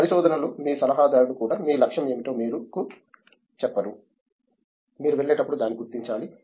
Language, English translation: Telugu, In research even your adviser doesn’t tell you what is your goal you kind of have to figure it out as you go along so